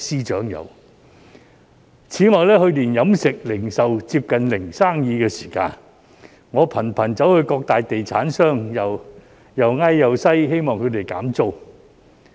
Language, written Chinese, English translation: Cantonese, 此外，去年飲食、零售接近"零生意"的時候，我頻頻向各大地產商苦苦哀求，希望他們減租。, Besides when the catering and retail industries were almost unable to do any business last year I frequently approached various major property developers with a despairing plea for rental reduction